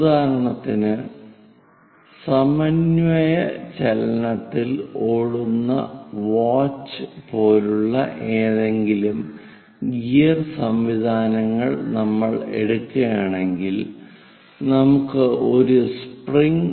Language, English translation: Malayalam, For example, if we are taking any gear mechanisms like watch to have the synchronization motion, we have a spring